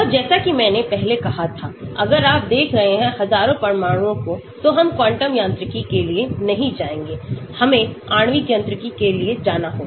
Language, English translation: Hindi, So, as I said before if you are looking at thousands of atoms, we will not go for quantum mechanics we have to go for molecular mechanics